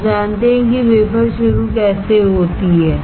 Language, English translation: Hindi, How you know wafer start